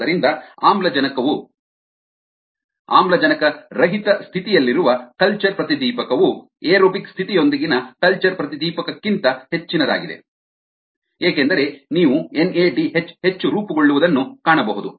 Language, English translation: Kannada, so the culture florescence at an anaerobic state is much higher than the culture florescence aerobic state, because you will find any d h forming more